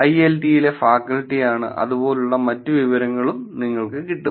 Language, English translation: Malayalam, Say oh faculty at IIIT and things like that